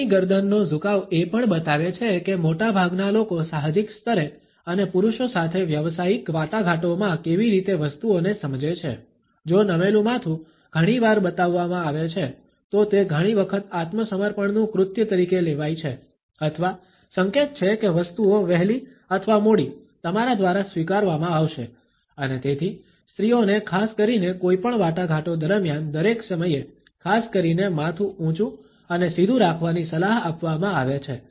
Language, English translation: Gujarati, Our neck tilt also shows how most people understand things on an intuitive level and in a business negotiations with men, if a head tilt is shown very often, it is often considered to be an act of submission or an indication that things would be sooner or later accepted by you and therefore, women are often advised to particularly keep their head up and straight in all times during any negotiations